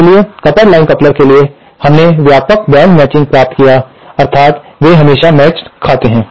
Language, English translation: Hindi, So, therefore for the coupled line coupler, we obtained broad band matching, that is they are always matched